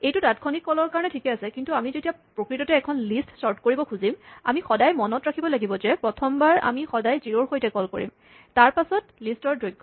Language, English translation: Assamese, Now, this is fine for the intermediate calls, but, when we want to actually sort a list, the first time we have to always remember to call it with zero, and the length of the list